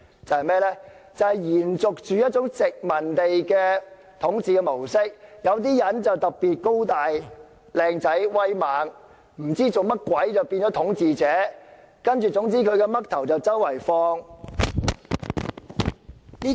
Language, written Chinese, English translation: Cantonese, 這是延續殖民地的統治模式，有些人可能特別高大、英俊、威猛，便會變成統治者，他們的肖像便會被四處展示。, This is a continuation of the colonial rule . Some people may become rulers because they are particularly tall handsome or imposing and their portraits will be displayed everywhere